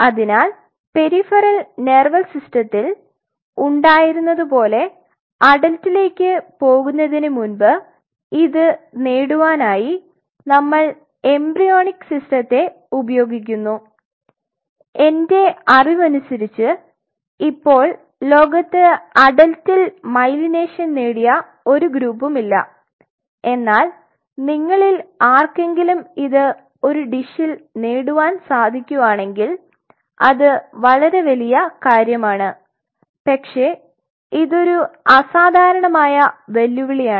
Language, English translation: Malayalam, So, just like this problem in the peripheral nervous system we use the embryonic system in order to achieve it before we graduate into adult and to the best of my knowledge as of now there are hardly any groups in the world which has achieved myelination on adult neurons not that I know of, but anyone of you find it out in a culture dish people have a achieved that be a really great thing, but it is exceptionally challenging